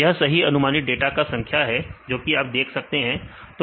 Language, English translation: Hindi, It is number of correctly predicted data you can see that